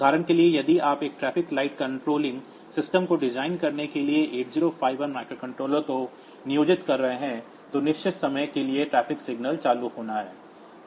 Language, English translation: Hindi, For example, if you are employing this 8051 microcontroller for designing one traffic light controlling system, so then the traffic signals are to be on for certain periods of time